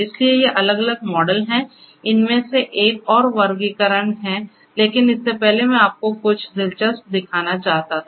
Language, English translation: Hindi, So, these are the different models another classification of these, but before that I wanted to show you something very interesting